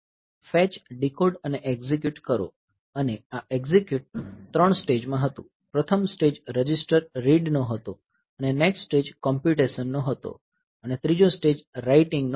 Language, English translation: Gujarati, Fetch, decode and execute and this execute was 3 stages; the first stage was register read, first stage was register read and the next stage was the computation and the third stage was the writing back